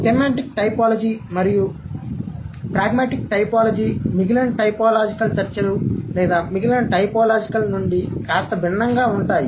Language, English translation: Telugu, Semantic typology and pragmatic typology would be a bit different from the rest of the typological discussions or the rest of the typological work